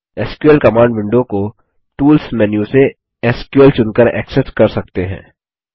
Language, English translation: Hindi, The SQL command window is accessed by choosing SQL from the Tools menu